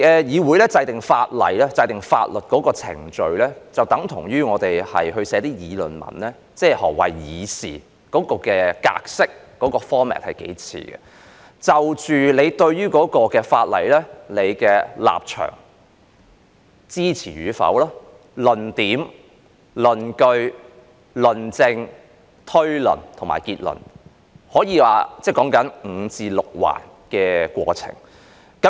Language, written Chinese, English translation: Cantonese, 議會制定法例的程序，就像我們要撰寫一篇議論文，兩者的格式很相似，要清楚說明我對於有關法例的立場、是否支持，要有論點、論據、論證、推論和結論，有5至6個部分。, The process of making legislation by the legislature is just like writing an argumentative essay and the formats of both are very similar . I have to spell out my stance towards the legislation concerned as to whether I give it my support . I need to present the arguments justifications factual substantiation inferences and conclusion and there are altogether five to six parts